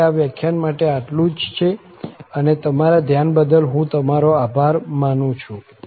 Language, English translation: Gujarati, So, that is all for this lecture, and I thank you for your attention